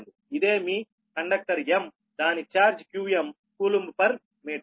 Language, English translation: Telugu, this is the conductor m has charge q m right